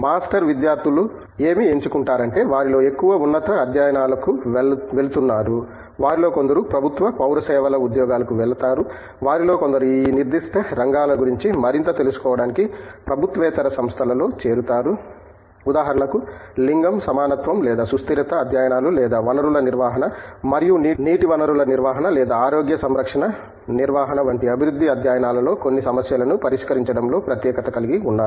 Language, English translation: Telugu, In terms of what they choose to do for master students, we see mostly going to higher studies some of them go to government civil services jobs, some of them preferably join non government organizations to learn more about this specific areas, take for example, somebody is specialized in some issues in developmental studies like gender, equality or sustainability studies or like a resource management and water resource management or health care management and all that